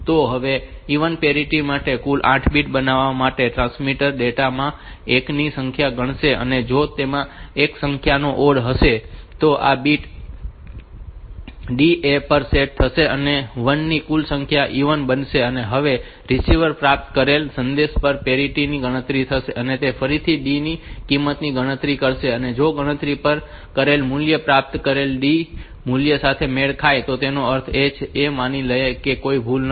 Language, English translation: Gujarati, So, making a total 8 bit now for even parity the transmitter will count number of 1 s in the data if the number of once is an odd number then this bit D will be set to 1 and make the total number of 1 s even and if the receiver will calculate the parity at the received message and it will again calculate the value of D and if the calculated value matches with the received D value; that means, it will assume that there is no error